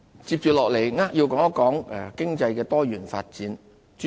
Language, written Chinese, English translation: Cantonese, 接下來，我扼要地說一說經濟的多元發展。, Now I will briefly explain our work in economic diversification